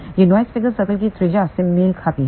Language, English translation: Hindi, This corresponds to the radius of the noise figure circle